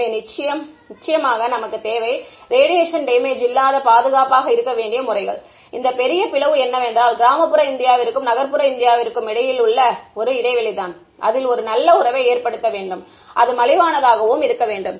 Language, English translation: Tamil, So, of course, we need methods that are we have to be safe means no radiation damage, and if this big divide between rural India and urban India has to be bridged then it has to be inexpensive quick